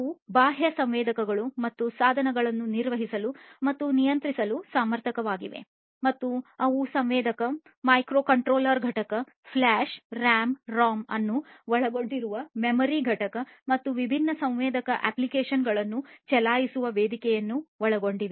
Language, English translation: Kannada, They are capable of managing and controlling external sensors and devices and they would comprise of a sensor, a microcontroller unit, a memory unit comprising of flash RAM, ROM and a platform for running different sensor applications